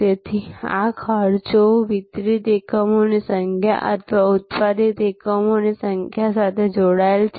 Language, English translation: Gujarati, So, these costs are linked to the number of units delivered or number of units produced